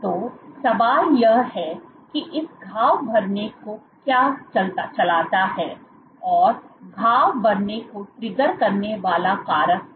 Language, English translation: Hindi, So, the question is that what drives this wound healing what are the factors that trigger wound healing